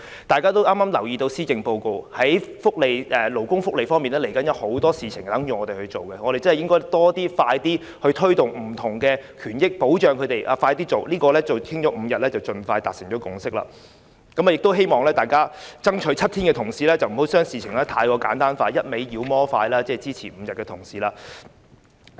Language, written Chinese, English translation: Cantonese, 大家也留意到剛發表的施政報告，在勞工福利方面，未來會有很多事情等待我們處理，我們應快一點推動更多不同的權益保障，這個5天侍產假的討論應盡快達成共識，亦希望爭取7天的同事不要把事情過於簡單化，以及不斷"妖魔化"支持5天的同事。, We should speed up our efforts to push ahead protection for various labour rights . Thus we should expeditiously reach a consensus here and conclude this debate on the five - day proposal on paternity leave . I also hope that Members who fight for the seven - day proposal will not over - simplify the matter and demonize Members who support the five - day proposal